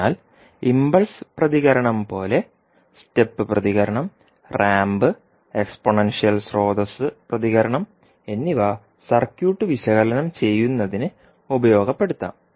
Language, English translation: Malayalam, So, like impulse response, step response, ramp and exponential source response can be utilize for analyzing the circuit